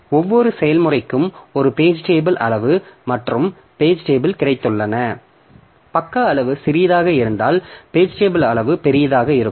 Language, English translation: Tamil, So for every process we have got a page table size and page table has to be stored and if the page size is small then the page table size will be large